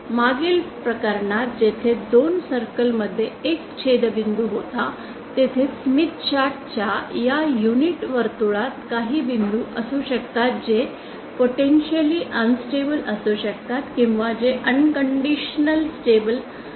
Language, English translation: Marathi, Like in the previous case where there was a intersection region between two circles there could be some points with in the unit circle of the smith chart which could be stable unconditionally or which could be potentially stable unstable